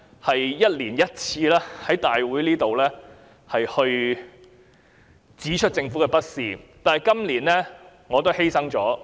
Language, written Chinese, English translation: Cantonese, 我一年一次在立法會會議上指出政府的不是，但今年我不說了。, I have pointed out the faults of the Government at the Council meeting once every year but this year I will not speak on this anymore